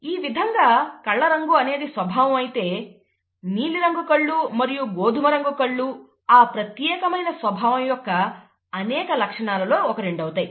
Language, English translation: Telugu, So, if the character happens to be eye colour, blue eye colour and brown eye colour are the two traits, or many, two of the many traits of that particular character